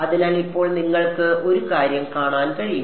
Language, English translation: Malayalam, So, now, you can see one thing